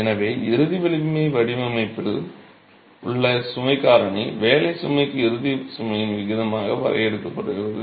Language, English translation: Tamil, So, the load factor in the ultimate strength design can be defined as the ratio of the ultimate load to a working load